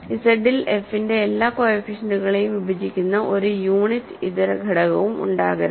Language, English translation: Malayalam, So, there cannot be any non unit in Z that divides all the coefficients of f